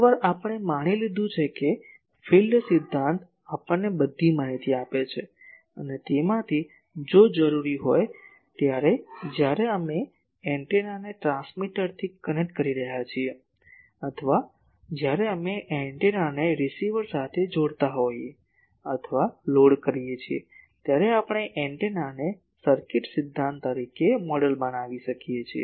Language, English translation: Gujarati, Once we have known that field theory gives us all the information’s and from that, if required when we are connecting the antenna with a transmitter, or when we are connecting the antenna with a receiver, or load we can model the antenna as an circuit theory object